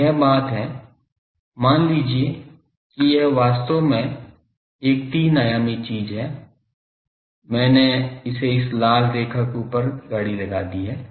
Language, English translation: Hindi, So, that thing is so, suppose this thing actually is a three dimensional thing, I have put a cart across this red line